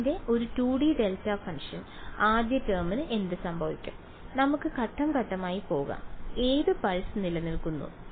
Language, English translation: Malayalam, Its a 2D delta function what happens to the first term let us go step by step I was summation over N pulses which pulse survives